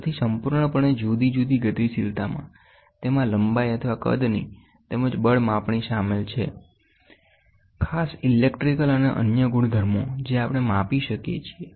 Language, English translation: Gujarati, So, completely different dynamics, it includes length or size measured as well as measurement of force, mass electrical and other properties we measure